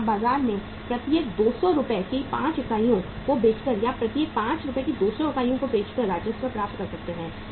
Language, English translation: Hindi, So you can have that revenue by selling 5 units of 200 Rs each in the market or by reverse by selling 200 units of 5 Rs each